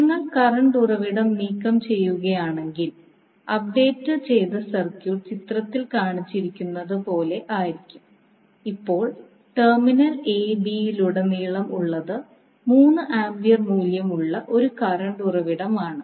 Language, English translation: Malayalam, If you remove the current source the updated circuit will be like shown in the figure and now, across terminal a b we apply a current source having value 3 ampere